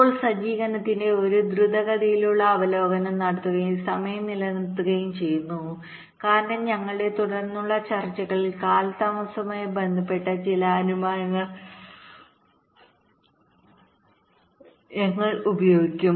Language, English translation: Malayalam, now let ah have a quick recap of the setup and hold time because we shall be using some of the delay related assumptions in our subsequent discussions